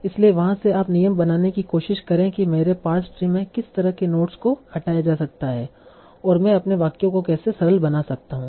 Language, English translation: Hindi, So from there you try to learn the rules that what kind of notes in my past tree can be removed and how I can simplify my sentences